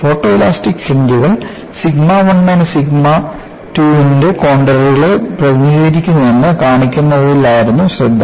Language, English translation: Malayalam, The focus was to show that the photoelastic fringes indeed, represent contours of sigma 1 minus sigma 2